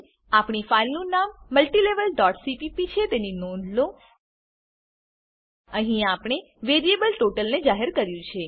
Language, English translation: Gujarati, Note that our filename is multilevel.cpp Here we have declared the variable total